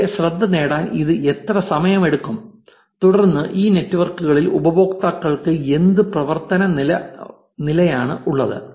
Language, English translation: Malayalam, And how much time this it get take to get their attention and then what are the level of activity do users have on these networks